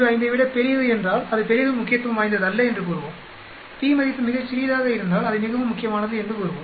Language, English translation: Tamil, 05 then we will say it is not greatly significant, if the p value is very small we will say it is greatly significant